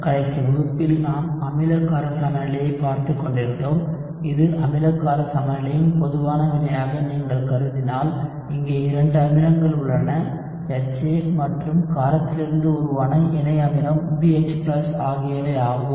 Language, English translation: Tamil, In the last class we were looking at acid based equilibrium and if you consider this as a genetic reaction for acid base equilibrium, you have to acids here HA and BH+ which is the conjugate acid of the space